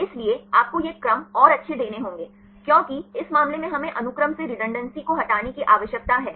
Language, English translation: Hindi, So, here you have to give these sequences and good, because in this case we need to remove redundancy from the sequence